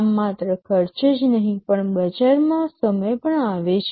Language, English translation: Gujarati, Thus not only the cost, but also the time to market